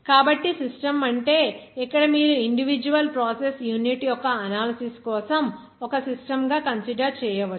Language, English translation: Telugu, So, the system means here you can consider for the analysis of the individual process unit as a system